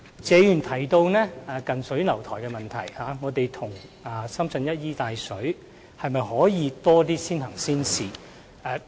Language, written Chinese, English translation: Cantonese, 謝議員提到我們近水樓台，與深圳一衣帶水，可否推行更多先行先試的措施？, Mr TSE asked whether more measures can be launched on an early and pilot implementation basis given our favourable location and close proximity to Shenzhen